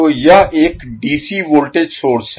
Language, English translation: Hindi, So this is a dc voltage source